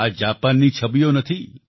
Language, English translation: Gujarati, These are not pictures of Japan